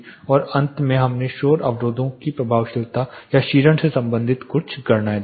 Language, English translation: Hindi, And at last we saw few calculations relating to the effectiveness or attenuation of noise barriers